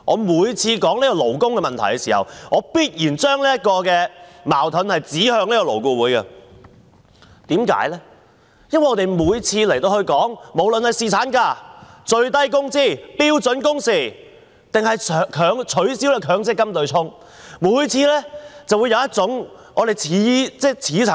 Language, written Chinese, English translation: Cantonese, 每次提及勞工問題的時候，我必須把矛頭指向勞顧會，因為我們每次在這裏討論侍產假、法定最低工資、標準工時或取消強制性公積金對沖時，都會聽到一種似曾相識的說法。, Whenever a labour issue is under debate I have to throw my spear at LAB because I always hear familiar arguments from the Government whenever we discuss the issues of paternity leave statutory minimum wage standard working hours or the abolition of the offsetting arrangement under the Mandatory Provident Fund MPF scheme in this Council